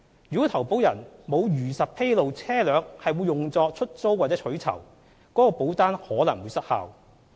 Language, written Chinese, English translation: Cantonese, 如果投保人沒有如實披露車輛會用作出租或取酬，該保單可能會失效。, If the policyholder fails to truthfully disclose that the vehicle will be used for hire or reward the policy may be invalidated